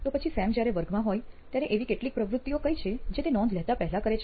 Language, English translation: Gujarati, So what would be some of the activities that Sam does before he actually takes notes while he is in class